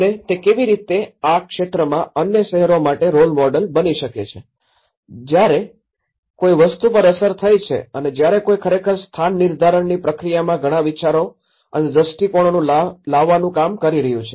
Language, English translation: Gujarati, And how it can become a role model for the other cities, within the region and because when something has been affected and when someone is really working out on bringing a lot of thoughts and visions into the place making process